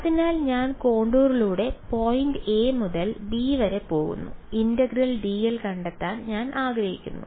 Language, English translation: Malayalam, So, I am going from the point a to b along the contour and I want to find out integral d l ok